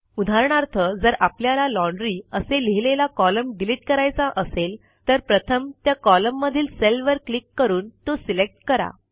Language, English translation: Marathi, For example if we want to delete the column which has Laundry written in it, first select a cell in that column by clicking on it